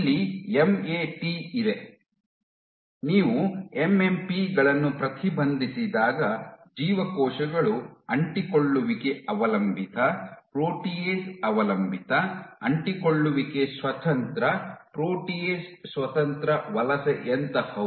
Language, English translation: Kannada, Here you have MAT, when you inhibit MMPs the cells transition from adhesion dependent, protease dependent, to adhesion independent, protease independent migration